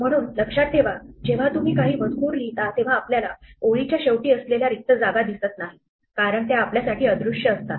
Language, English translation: Marathi, So, remember when you write out text very often we cannot see the spaces the end of the line because they are invisible to us